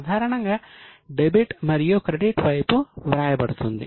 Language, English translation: Telugu, Normally 2 and buy is written on debit and credit side